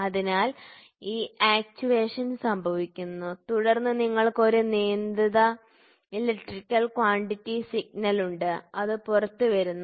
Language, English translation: Malayalam, So, then this actuation happens and then you have a controlled non electrical quantity signal, which is coming out